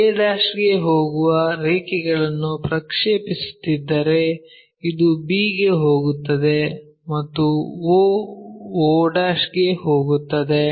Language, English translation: Kannada, Same thing if we are projecting the lines it goes to a', this one goes to b' and o goes to o'